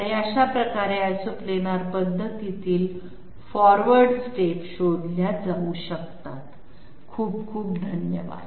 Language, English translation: Marathi, And this way the forward steps in Isoplanar method can be found out, thank you very much